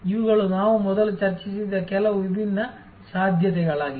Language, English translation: Kannada, These are some different possibilities that we have discussed before